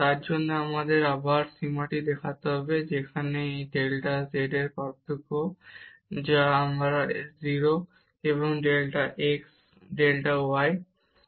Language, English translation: Bengali, For that we need to show this limit again, where this delta z is this difference, which is again this is 0 and delta x delta y